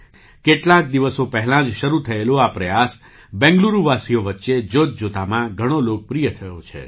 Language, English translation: Gujarati, This initiative which started a few days ago has become very popular among the people of Bengaluru